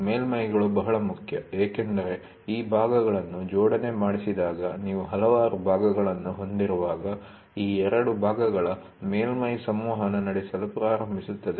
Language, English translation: Kannada, Surfaces are very important because, when you have when you have several parts, when these parts are assembled, the surface of these two parts starts interacting